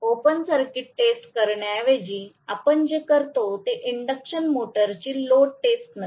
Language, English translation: Marathi, Rather than doing open circuit test what we do is no load test of the induction motor